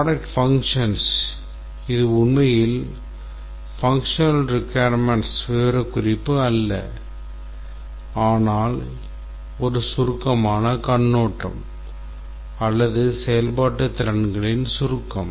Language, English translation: Tamil, The product functions is not really the functional requirement specification but a brief overview of the summary of the functional capabilities